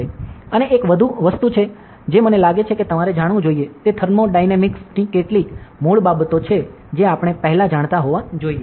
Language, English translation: Gujarati, And one more thing that I think you should know is, some basics of thermodynamics that we must have know before, ok